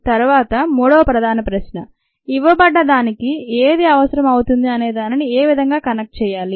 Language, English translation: Telugu, then the third main question: how to connect what is needed to what is given